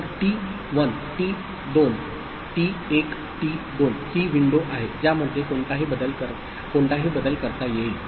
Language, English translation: Marathi, So, t1 t2 is the window in which any change can be accommodated